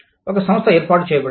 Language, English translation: Telugu, One firm is set up